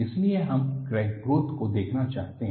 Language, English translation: Hindi, So, we want to look at the crack growth